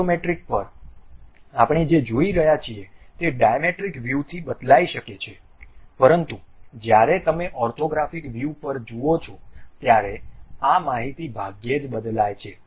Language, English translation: Gujarati, At Isometric, Dimetric the view what we are seeing might change, but when you are going to look at orthographic views these information hardly changes